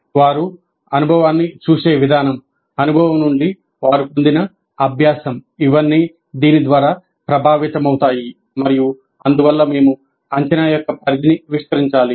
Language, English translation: Telugu, So they will look at the experience, the learning the gain from the experience will all be influenced by this and thus we have to expand the scope of assessment